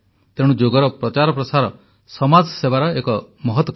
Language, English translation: Odia, Therefore promotion of Yoga is a great example of social service